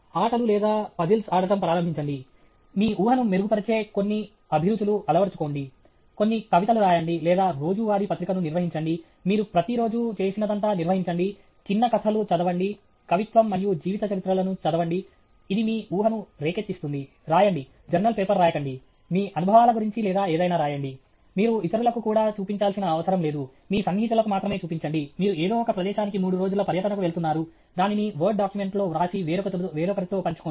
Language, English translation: Telugu, Start playing games or puzzles; have some hobbies which will release your imagination; write some poetry or maintain a daily journal, just maintain what all you have done everyday; read short stories; read poetry and biographies, it provokes your imagination; write, not write not journal paper, write about your experiences or something you dont have to show to others also, show it to only your close friends; you are going on a three day trip to some place, write it down on word and share it with somebody else